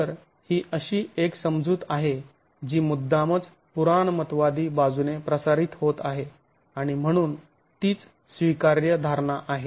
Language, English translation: Marathi, So, this is an assumption which is erring on the conservative side and so is an acceptable assumption itself